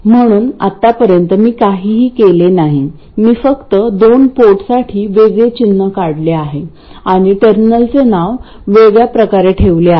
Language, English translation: Marathi, I have simply drawn a different symbol for a two port and named the terminals differently